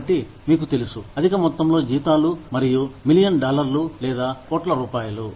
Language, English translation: Telugu, So, you know, exorbitant amounts of salaries, and millions of dollars, or crores of rupees